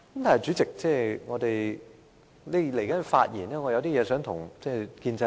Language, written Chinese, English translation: Cantonese, 然而，主席，在稍後的發言中，我有些話想對建制派說。, However Chairman in my coming speech I would like to say a few words to Members of the pro - establishment camp